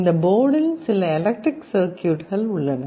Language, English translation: Tamil, And in this board itself there is some electronic circuitry